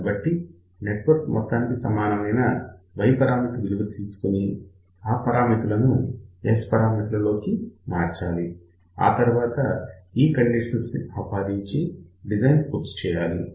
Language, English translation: Telugu, So, find the equivalent Y parameter then from Y parameter converted to S parameters, apply these conditions and then complete the design